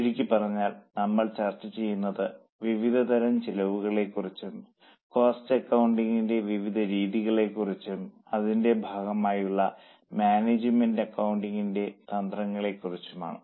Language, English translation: Malayalam, In very, very brief, we will discuss about the types of costs, the methods of cost accounting, and then we will go to management accounting part of it or the techniques of cost accounting part